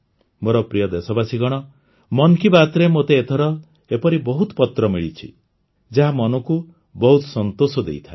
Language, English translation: Odia, My dear countrymen, I have also received a large number of such letters this time in 'Man Ki Baat' that give a lot of satisfaction to the mind